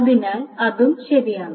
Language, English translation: Malayalam, So that is also right